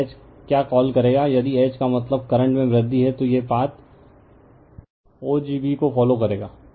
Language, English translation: Hindi, So, H will what you call if H means you are increase the current right then this one we will follow the path o g b right